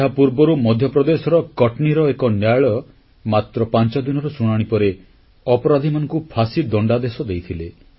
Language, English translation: Odia, Earlier, a court in Katni in Madhya Pradesh awarded the death sentence to the guilty after a hearing of just five days